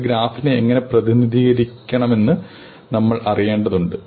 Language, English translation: Malayalam, We need to know how to represent a graph